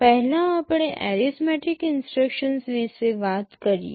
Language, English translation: Gujarati, First let us talk about the arithmetic instructions